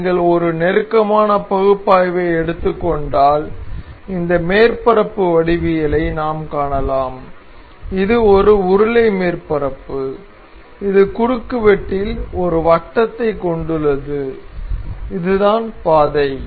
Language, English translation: Tamil, So, if you take a close analysis we can see that this surface is a geometrical this is a cylindrical surface that has a circle in in cross section and this is a path